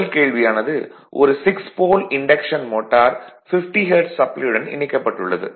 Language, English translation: Tamil, Suppose a 6 pole induction motor is fed from 50 hertz supply